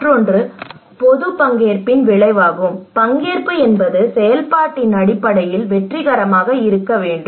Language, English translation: Tamil, And another one is the outcome of public participation, like participation should be successful in terms of implementations